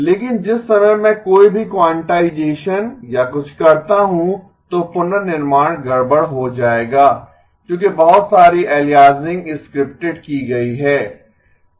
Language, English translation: Hindi, But the minute I do any quantization or something then the reconstruction will be a mess because the lot of aliasing has scripted